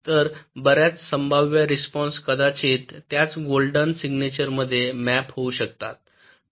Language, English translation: Marathi, so even many possible responses might get mapped into the same golden signature